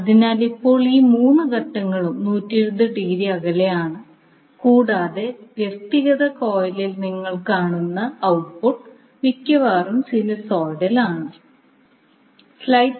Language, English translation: Malayalam, So, now, all these 3 phases are 120 degree apart and the output which you will see in the individual coil is almost sinusoidal